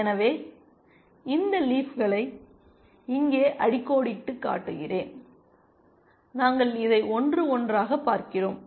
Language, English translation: Tamil, So, let me just underline these leaves here, we are looking at this one, this one, this one, and this one